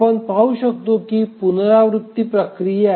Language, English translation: Marathi, So, as you can see that this is a iterative process